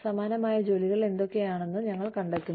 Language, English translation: Malayalam, We find out, what similar jobs are being